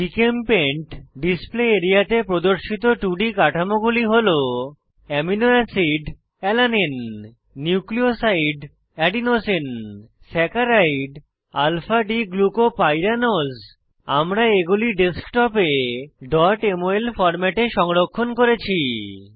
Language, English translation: Bengali, Shown on this Gchempaint display area are 2D drawings of * Amino acid Alanine * Nuclioside Adenosine * Saccharide Alpha D glucopyranose I have saved them in .mol format on my Desktop